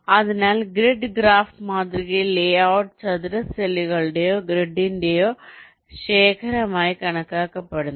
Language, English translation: Malayalam, so in general in the grid graph model the layout is considered as a collection of square cells or grid